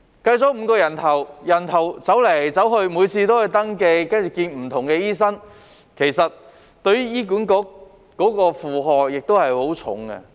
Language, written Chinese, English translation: Cantonese, 計作5人次，但病人走來走去，每次都須登記，看不同的醫生，其實這也會為醫管局帶來很重的負荷。, Even if it is counted as five attendances the patient has to go back and forth register on each and every occasion and see different doctors . In fact this may also create a heavy burden on HA